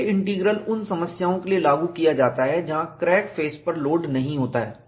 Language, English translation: Hindi, J Integral is applied to problems, where crack face is not loaded